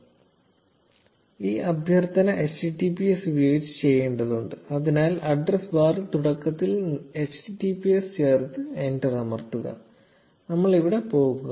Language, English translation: Malayalam, So this request needs to be made using https, so just add https in the beginning in the address bar and press enter and here you go